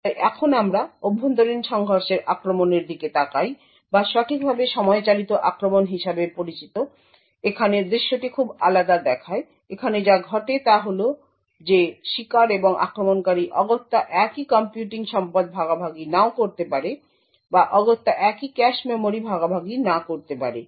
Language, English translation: Bengali, So now we look at internal collision attacks or properly known as time driven attacks, here the scenario looks very different, here what happens is that the victim and the attacker may not necessarily share the same computing resource, or may not necessarily share the same cache memory